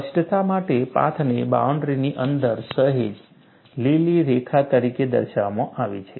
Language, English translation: Gujarati, For clarity, the path is shown slightly inside the boundary as a green line